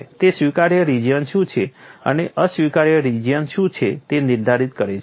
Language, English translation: Gujarati, It demarcates what is the acceptable region and what is an unacceptable region